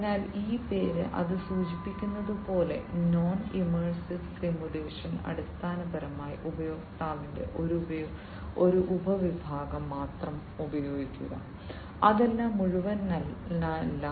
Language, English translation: Malayalam, So, this name, as it suggests, non immersive simulation, basically, utilize only a subset of the user senses not all of it, you know it is a non immersive